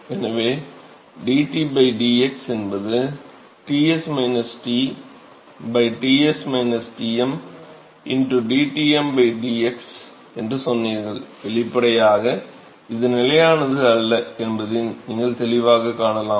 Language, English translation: Tamil, So, you said that dT by dx is Ts minus T by Ts minus Tm into dTm by dx so; obviously, this is not a constant, you can clearly see that it is not a constant ok